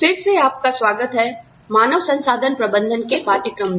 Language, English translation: Hindi, Welcome back, to the course on, Human Resources Management